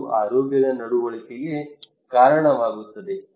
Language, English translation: Kannada, That leads to health behaviour